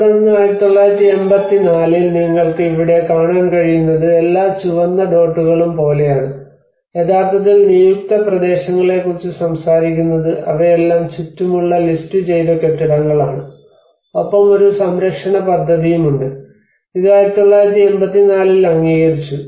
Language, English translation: Malayalam, And then in 1984 what you can see here is like it is all the red dots which are actually talking about the designated areas you know they are all the listed buildings around, and there is a conservation plan which has been adopted in 1984